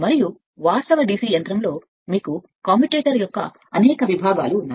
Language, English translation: Telugu, And but in the in the actual DC machine you have you have several segment of the commutators